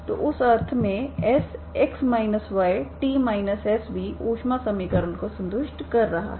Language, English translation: Hindi, So in that sense S of x minus y, t minus S is also satisfying the heat equation, okay